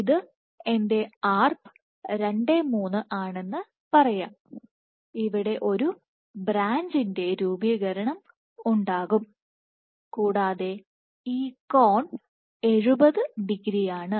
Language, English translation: Malayalam, So, let us say this is my Arp 2/3 there will be formation of a branch network and this angle is 70 degrees